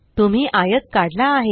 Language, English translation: Marathi, You have drawn a rectangle